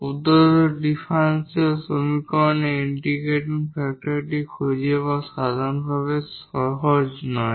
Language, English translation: Bengali, It is not in general easy to find the integrating factor of the given differential equation